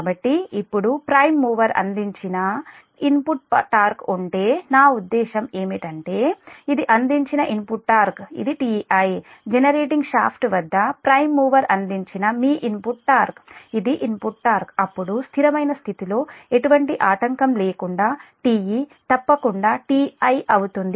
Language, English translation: Telugu, so if the now, if the input torque provided by the prime mover, i mean if the input torque provided, this is your input torque, provided by the prime mover at the generating shaft, that is t i, this is the input torque, this is the input torque, then under steady state condition, that is, without any disturbance, that t e must be, is equal to t i